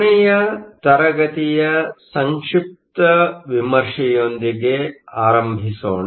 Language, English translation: Kannada, Let us start with a brief review of last class